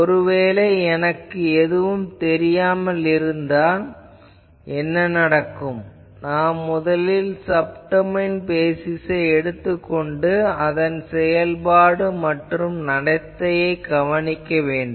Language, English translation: Tamil, Actually what happens when I do not know anything; we take first Subdomain basis we find out what is the more or less functional behavior